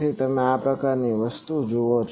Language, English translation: Gujarati, So you see this type of thing